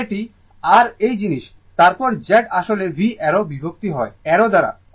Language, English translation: Bengali, So, this is my your this thing, then Z actually, Z actually V arrow divided by your I arrow